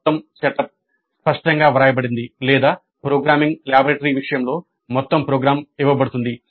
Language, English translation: Telugu, The whole setup is clearly written or in the case of programming laboratory the entire program is given